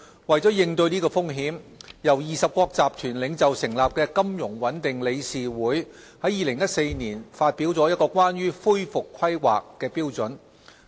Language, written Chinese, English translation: Cantonese, 為應對這風險，由20國集團領袖成立的金融穩定理事會在2014年發表了關於恢復規劃的標準。, To address such vulnerability the Financial Stability Board FSB which was established by the G20 leaders issued in 2014 a set of standards relating to recovery planning